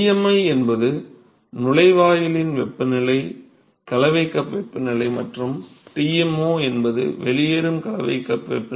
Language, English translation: Tamil, And Tmi is the temperature mixing cup temperature of the inlet, and Tmo is the mixing cup temperature of the outlet